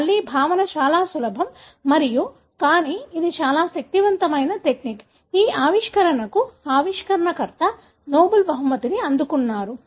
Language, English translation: Telugu, Again,, the concept is very simple and but, it is so powerful a technique that the discoverer received Nobel Prize for this discovery